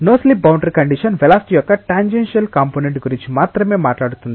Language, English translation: Telugu, No slip boundary condition talks only about the tangential component of velocity